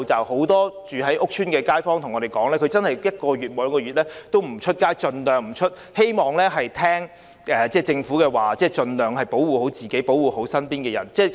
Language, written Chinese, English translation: Cantonese, 很多住在屋邨的街坊對我們說，他們真的一兩個月盡量不外出，聽從政府指示，保護自己及身邊的人。, Many residents of housing estates told us that they have refrained from going out for one to two months . They have complied with the instructions of the Government to protect themselves and people around them